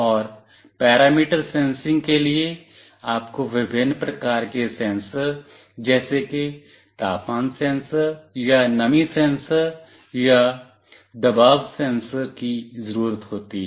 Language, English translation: Hindi, And for parameter sensing, you need various sensors like temperature sensor or humidity sensor or pressure sensor